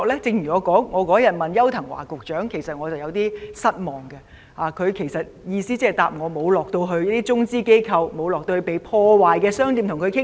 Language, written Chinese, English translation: Cantonese, 正如那天我質詢邱騰華局長，其實我對他的答覆有點失望，他回答時的意思是說沒有到過中資機構或被破壞的商店了解情況。, The other day I asked Secretary Edward YAU a question and actually I was a bit disappointed with his reply . What he meant in his reply was that he did not go to any China - capital organization or vandalized shop to gain some understanding of their situation